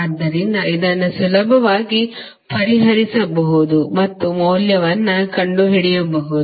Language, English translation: Kannada, So, this you can easily solve and find out the value